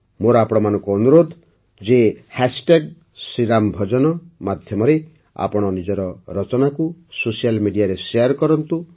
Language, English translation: Odia, I request you to share your creations on social media with the hashtag Shri Ram Bhajan shriRamBhajan